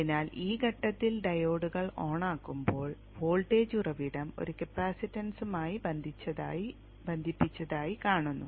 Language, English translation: Malayalam, So the moment the diodes turn on at this point, the diodes turn on at this point, a voltage source is seen connected to a capacitance